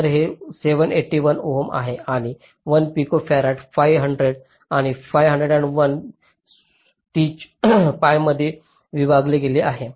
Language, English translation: Marathi, so this is seven, eighty one ohm and one picofarad, is split into five hundred and five hundred one stitch pi